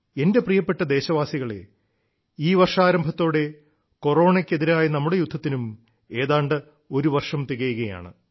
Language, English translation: Malayalam, the beginning of this year marks the completion of almost one year of our battle against Corona